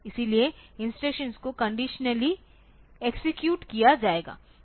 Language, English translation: Hindi, So, instructions will be executed conditionally